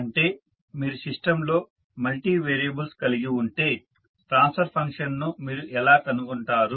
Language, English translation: Telugu, That means if you have multiple variable in the system, how you will find out the transfer function